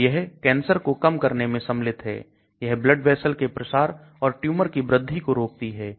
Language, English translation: Hindi, So it involves it prevents cancer, it prevents blood vessel proliferation and tumor growth